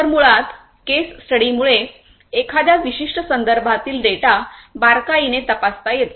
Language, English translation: Marathi, So, basically a case study would enable one to closely examine the data within a particular context